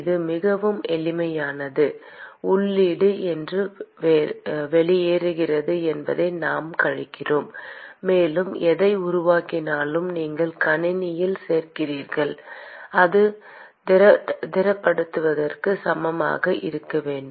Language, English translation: Tamil, It is very simple: input, what goes out we subtract that and whatever is generated, you add to the system that should be equal to whatever is being accumulated